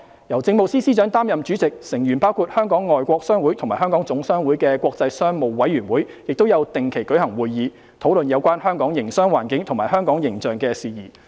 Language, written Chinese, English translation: Cantonese, 由政務司司長擔任主席，成員包括香港外國商會及香港總商會的國際商務委員會亦有定期舉行會議，討論有關香港營商環境及香港形象的事宜。, The International Business Committee chaired by the Chief Secretary for Administration with members comprising representatives of foreign chambers of commerce in Hong Kong and the Hong Kong General Chamber of Commerce also meets regularly and discusses matters relating to the business environment and perceptions of Hong Kong